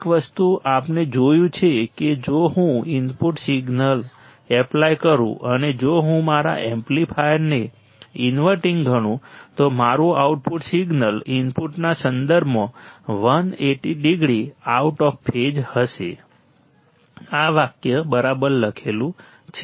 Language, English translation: Gujarati, One thing we have seen what that if I apply input signal, and if I consider my amplifier to be inverting, then my output signal would be 180 degree out of phase with respect to input right, this is what is written for sentence ok